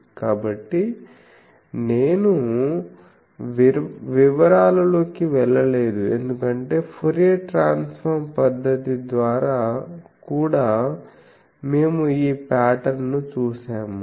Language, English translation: Telugu, So, I am not gone into details because by the Fourier transform method also we have seen this pattern